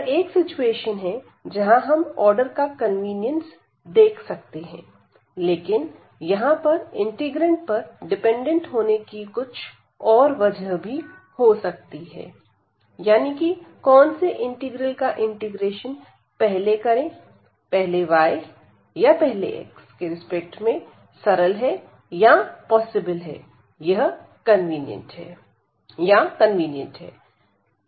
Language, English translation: Hindi, So, this is one a situation where we can see the convenience of the order here, but there will be other reasons depending on the integrand that which integral whether with respect to y is easier or possible or convenient or with respect to x first